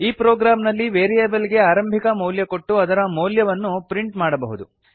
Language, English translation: Kannada, In this program we will initialize the variables and print their values